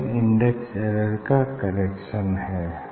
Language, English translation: Hindi, this is the correction for index error